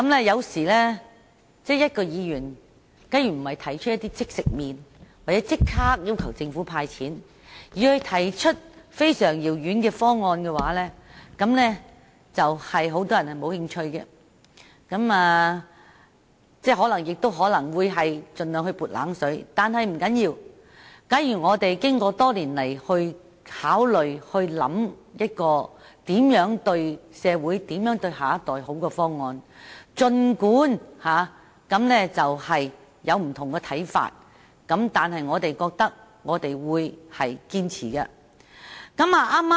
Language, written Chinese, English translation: Cantonese, 有時候，假如議員提出的不是"即食麪"，或不是要求政府立刻"派錢"的議案，而是一些非常遙遠的方案，很多人也不會感興趣，又或會盡量"潑冷水"；但不要緊，如果我們經過多年考慮而得出有利社會、有利下一代的方案，儘管有不同的看法，我們仍然會堅持。, When Members propose motions on long - term planning which are not instant noodles or not requesting the Government to dish out money immediately people may not be interested or will throw a wet blanket on them . But it does not matter . We will insist on proposals came up after years of consideration which are beneficial to society and the next generation despite the different views